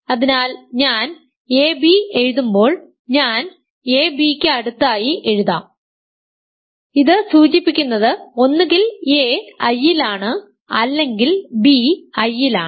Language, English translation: Malayalam, So, when I write a times b, I will just write a next to b, this implies either a is in I or b is in I ok